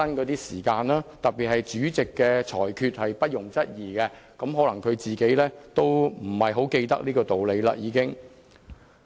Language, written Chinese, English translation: Cantonese, 然而，主席的裁決是不容質疑的，可能他已不太記得這個道理了。, Perhaps he has forgotten that the Presidents ruling is not subject to challenge